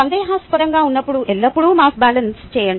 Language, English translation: Telugu, when in doubt, always do mass balances